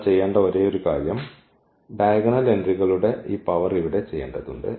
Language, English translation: Malayalam, Only thing we have to we have to just do this power here of the diagonal entries